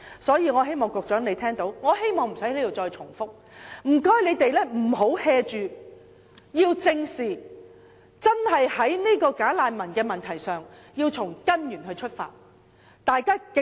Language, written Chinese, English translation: Cantonese, 所以，我希望局長聽到，我亦希望無須在此重複，便是請他們不要""做，要正視問題，在"假難民"的問題上，要從根源出發。, I thus hope that the Secretary can hear my view so that I do not need to repeat it here . I would ask them not to take the problem lightly but face it squarely and resolve the problem of bogus refugees from the root